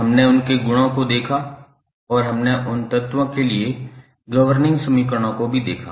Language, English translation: Hindi, We saw their properties and we also saw the governing equations for those elements